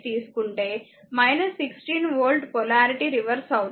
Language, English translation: Telugu, So, minus 16 volt the polarity will be reverse